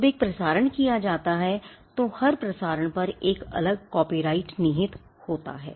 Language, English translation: Hindi, When a broadcast is made every broadcast has a separate copyright vested on it